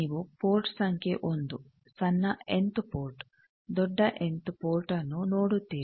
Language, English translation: Kannada, You see 1 port number 1, small nth port capital nth port